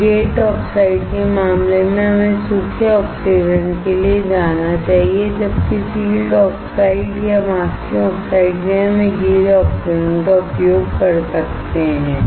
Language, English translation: Hindi, So, in the case of gate oxide, we should go for dry oxidation, whereas for field oxide or masking oxides, we can use the wet oxidation